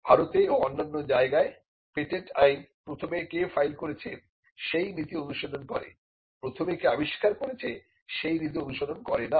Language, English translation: Bengali, The patent law in India and in other places follows the first file, it does not follow the first to invent principles